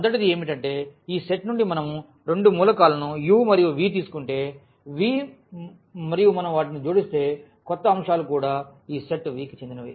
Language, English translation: Telugu, The first one is that if we take two elements u and v from this set V and if we add them the new elements should also belong to this set V